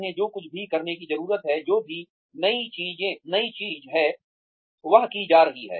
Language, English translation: Hindi, Whatever they need to do, whatever the new thing, that is being done